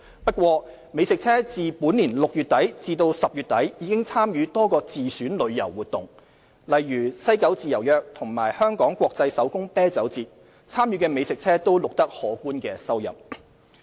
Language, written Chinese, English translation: Cantonese, 不過，美食車自本年6月底至10月底已參與多個自選旅遊活動，例如西九"自由約"及香港國際手工啤酒節，參與的美食車均錄得可觀收入。, Nonetheless food trucks have participated in various self - identified tourism events since end June to end October this year for instance the Freespace Happening in West Kowloon Cultural District and Beertopia . Participating food trucks recorded impressive revenues in these events